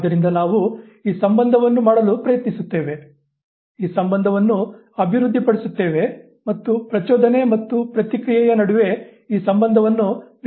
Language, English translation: Kannada, So, we try to make this association, develop this association, evolve this association between the stimulus and the response